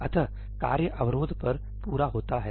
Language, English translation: Hindi, tasks complete on barrier